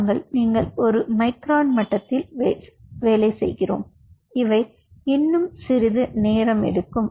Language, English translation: Tamil, we you are doing at a micron level and these are still